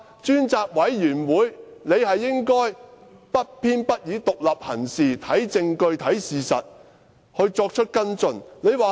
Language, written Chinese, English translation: Cantonese, 專責委員會理應不偏不倚，獨立行事，看證據看事實，然後作出跟進。, The Select Committee should work impartially and independently . It should make its judgments on the basis of evidence and facts and take follow - up actions accordingly